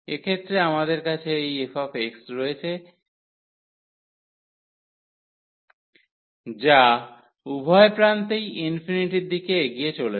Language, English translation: Bengali, So, in this case when we have this f x is approaching to infinity at both the ends